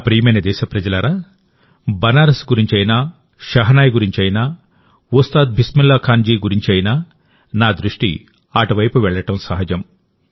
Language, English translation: Telugu, My dear countrymen, whether it is about Banaras or the Shehnai or Ustad Bismillah Khan ji, it is natural that my attention will be drawn in that direction